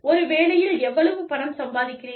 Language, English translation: Tamil, How much money, do you make, in one job